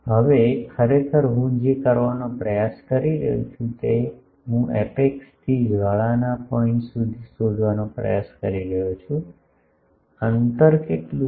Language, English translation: Gujarati, Now, actually what I am trying to do I am trying to find from the apex to the flaring point, what is the distance